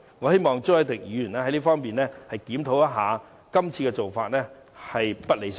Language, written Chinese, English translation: Cantonese, 我希望朱凱廸議員能夠檢討一下，今次的做法實在並不理想。, This is a rather bad practice . I hope Mr CHU Hoi - dick can review and reflect . His practice this time is indeed far from ideal